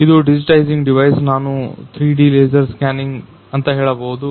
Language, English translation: Kannada, This is a digitizing device, we can say 3D laser scanning